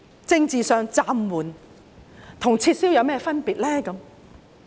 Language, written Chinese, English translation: Cantonese, 政治上，"暫緩"與"撤銷"有甚麼分別呢？, Politically speaking what is the difference between suspended and withdrawn?